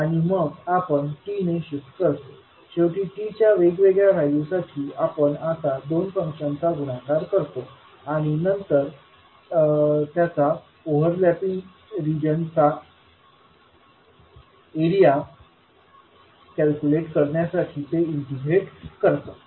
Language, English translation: Marathi, And then we will shift by t and finally for different value for t we will now multiply the two functions and then integrate to determine the area of overlapping reasons